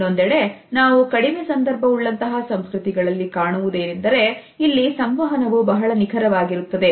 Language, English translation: Kannada, On the other hand we find that the low context culture believes in a precise communication